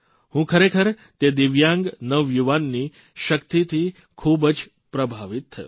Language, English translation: Gujarati, I was really impressed with the prowess of that divyang young man